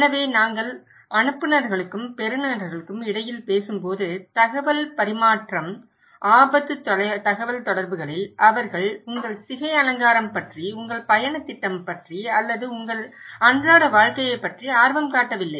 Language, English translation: Tamil, So, exchange of information when we are talking between senders and receivers, no in risk communications they are not interested about your hairstyle, about your travel plan or about your day to day life